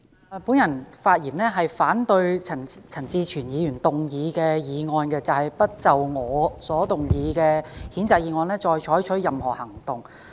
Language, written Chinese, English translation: Cantonese, 我發言反對陳志全議員動議的議案，不就我所動議的譴責議案再採取任何行動。, I speak in opposition to the motion moved by Mr CHAN Chi - chuen that no further action shall be taken on the censure motion moved by me